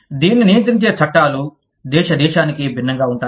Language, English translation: Telugu, The laws governing this are, different from, country to country